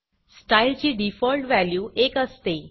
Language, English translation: Marathi, The default value of style is 1